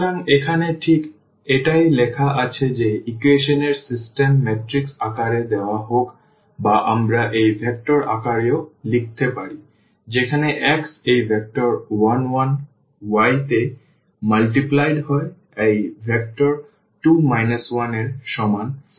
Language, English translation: Bengali, So, now so, this is exactly what is written here that the system of equations whether it is given in the matrix form or we can also write down in this vector form where, x is multiplied to this vector 1 1 y is multiplied to this vector 2 minus 1 is equal to 4 1